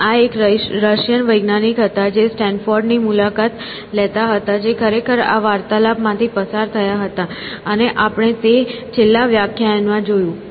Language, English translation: Gujarati, And, this was a Russian scientist who was visiting Stanford who actually went through this conversation, and we saw that in the last class